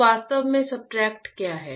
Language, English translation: Hindi, So, any substrate actually what is substrate